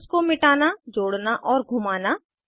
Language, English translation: Hindi, * Delete, add and rotate bonds